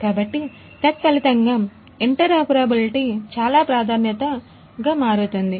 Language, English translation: Telugu, So, interoperability consequently becomes important